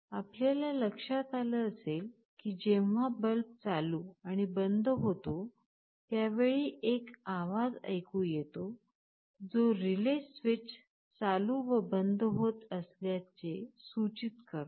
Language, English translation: Marathi, You must have noticed that when the bulb is switching ON and OFF, there is an audible sound indicating that the relay switch is turning on and off